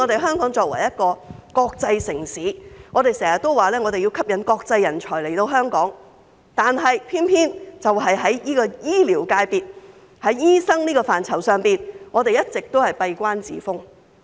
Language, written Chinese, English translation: Cantonese, 香港作為國際城市，經常說要吸引國際人才來港，但偏偏在醫療界別、在醫生這個範疇上，我們一直都閉關自封。, Being an international city Hong Kong often says that it has to attract overseas talents to Hong Kong . Yet when it comes to the healthcare sector we always keep the door closed to overseas doctors and turn them away